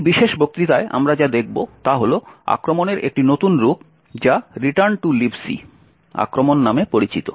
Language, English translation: Bengali, In this particular lecture what we will look at is a new form of attack known as the Return to Libc Attack